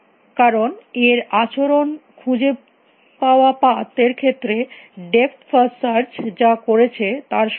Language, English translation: Bengali, Because, the behavior in terms of the path that it finds would be same as what depth first search have done